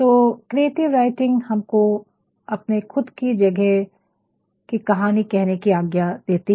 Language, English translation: Hindi, So, creative writing actually allows us to tell the story of our spaces